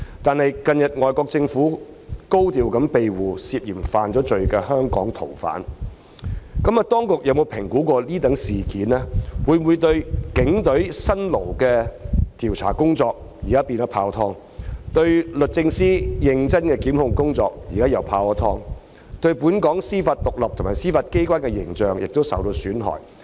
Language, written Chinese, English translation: Cantonese, 可是，近日外國政府高調庇護涉嫌犯罪的香港逃犯，當局有否評估此事件會否令警隊辛勞的調查工作，即時泡湯；令律政司認真的檢控工作，亦見泡湯；也令本港司法獨立及司法機關的形象受到損害？, Yet in view of the recent case where asylum is granted by the overseas government to fugitives from Hong Kong who are suspects have the authorities assessed whether the strenuous efforts made by the Police in investigation and the prosecution work of DoJ will go down the drain because of the case and whether the image of Hong Kongs judicial independence and its Judiciary will be tarnished?